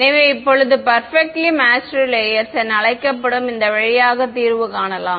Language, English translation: Tamil, So, now let us see the remedy via this so called Perfectly Matched Layers ok